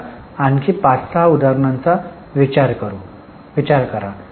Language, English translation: Marathi, Now think of another 5 6 examples